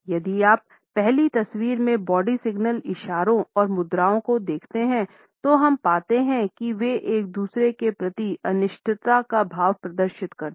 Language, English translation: Hindi, If you look at the body signal gestures and postures in the first photograph, we find that they exhibit a sense of uncertainty towards each other